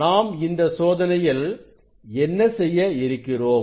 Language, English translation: Tamil, what we will do this experiment